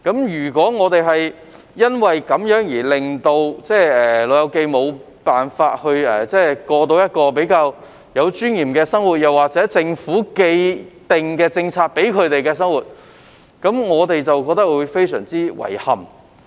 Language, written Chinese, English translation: Cantonese, 如果因為這個原因令"老友記"無法過較有尊嚴的生活或享有政府提供的優惠，我們會覺得非常遺憾。, If elderly persons cannot live in a more dignified manner or enjoy the concessions provided by the Government due to this reason we will be very sorry